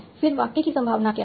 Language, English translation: Hindi, Then, what is the probability of the sentence